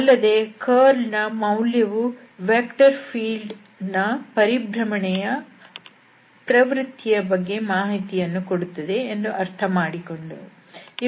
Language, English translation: Kannada, And we have also realized that the value of this curl tell something about the rotation, so, the tendency of the rotation of the vector field